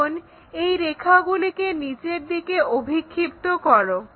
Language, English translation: Bengali, Now, project these lines all the way down